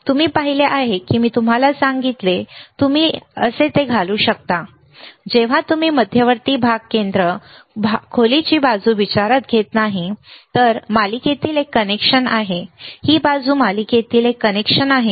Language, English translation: Marathi, You see I told you that you can insert it like this, only when you are not considering the central portion centre portion depth side is one connection in series this side is one connection in series